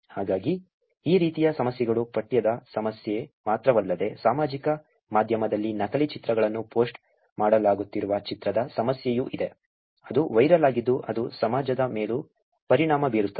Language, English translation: Kannada, So, these kind of problems which is not only the text problem, there is also with the image problem where in the fake images are being posted on social media which become viral which also has impact in the society